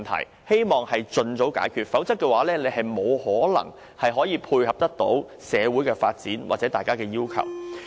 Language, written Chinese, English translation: Cantonese, 我希望政府能盡早解決，否則沒可能配合社會的發展或市民要求。, I hope the Government can resolve them as soon as possible or else it will be impossible to tie in with social development or meet peoples demand